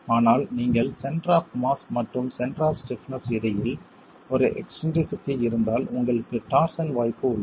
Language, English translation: Tamil, But in case, if you have an eccentricity between the center of mass and the center of stiffness, you have the possibility of torsion